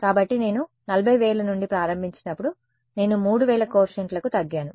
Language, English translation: Telugu, So, when I started from 40000, I am down to 3000 coefficients